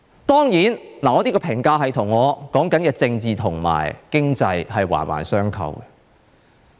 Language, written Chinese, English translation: Cantonese, 當然，我這個評價是與我所說的政治及經濟，環環相扣。, My such assessment is closely linked to the political and economic situation I said